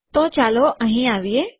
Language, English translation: Gujarati, So lets come here